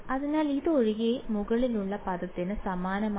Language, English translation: Malayalam, So, its identical to the term above except for